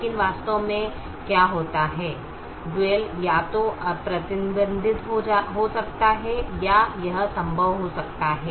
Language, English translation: Hindi, but what actually happens is the dual can become either unbounded or it can become infeasible